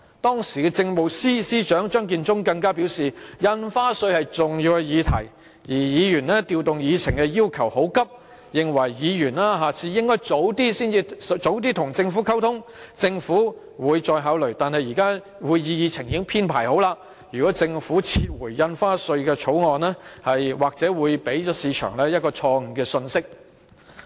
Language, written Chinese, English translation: Cantonese, 當時的政務司司長張建宗更表示，印花稅是重要議題，而議員調動議程的要求很急，認為議員下次應該提早與政府溝通，政府會再考慮，但現時會議議程已經編排好，如果政府撤回《條例草案》，或會給予市場錯誤信息。, The then Chief Secretary for Administration Matthew CHEUNG said that stamp duty was an important issue and Members request to rearrange the order of agenda items was too rush . He opined that Members should communicate with the Government in advance next time so that the Government might reconsider the request . Moreover since the agenda of the meeting had been finalized if the Government withdrew the Bill it might send a wrong message to the market